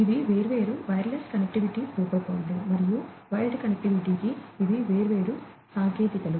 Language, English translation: Telugu, These are the different wireless connectivity protocols and these are the different, you know, technologies for wired connectivity